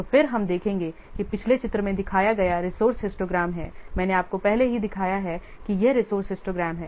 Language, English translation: Hindi, So the resource histogram shown in the previous figure I have already shown you this is the resource histogram